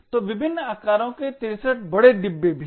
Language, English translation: Hindi, So there are also 63 large bins of various sizes